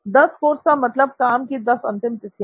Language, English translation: Hindi, So 10 courses means 10 deadlines